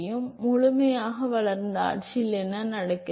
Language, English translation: Tamil, So, what happens in the fully developed regime